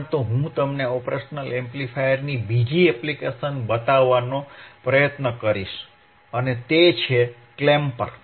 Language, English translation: Gujarati, bBut I will try to show you is the another application of operational amplifier, that is your clamper